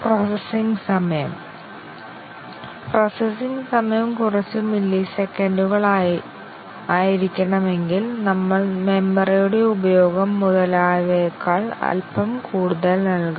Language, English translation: Malayalam, The processing time; if the processing time is required to be of few millisecond, we might give slightly more than that, utilization of the memory, etcetera